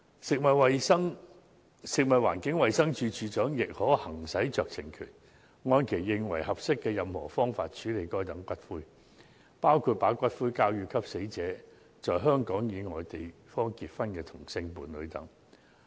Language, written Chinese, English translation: Cantonese, 食物環境衞生署署長亦可行使酌情權，按其認為合適的任何方式，處置該等骨灰，包括把骨灰交給與死者在香港以外地方結婚的同性伴侶等。, The Director of Food and Environmental Hygiene may also exercise discretion to dispose of such ashes in any manner which he thinks fit including passing the ashes to the same - sex partner who married the deceased outside Hong Kong